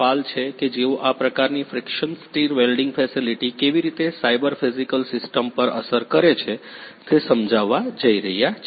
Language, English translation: Gujarati, Pal who is going to explain how this kind of friction stir welding is cyber physical system what’s impacted